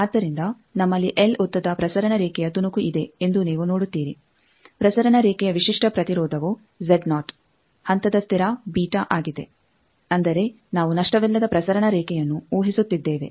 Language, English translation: Kannada, So, you see we have a piece of transmission line of length l characteristic impedance of the transmission line is Z naught phase constant is beta that means, we are assuming lossless transmission line